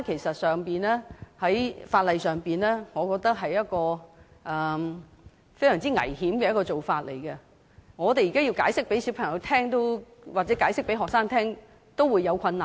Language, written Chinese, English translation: Cantonese, 在法例上，我認為這是一種非常危險的做法，我們要向小朋友或學生解釋這個情況也有困難。, In terms of law I think this is a very dangerous move and there is difficulty even in explaining this situation to children or students